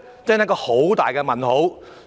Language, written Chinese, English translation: Cantonese, 這是個大問號。, This is a big question mark indeed